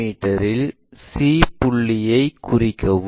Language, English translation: Tamil, So, locate that c point